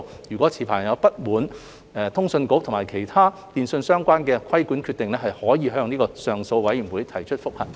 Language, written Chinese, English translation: Cantonese, 若持牌人不滿通訊局其他與電訊相關的規管決定，可以向上訴委員會提出覆核。, Licensees can appeal to the Appeal Board if they are aggrieved by other telecommunications - related regulatory decisions of CA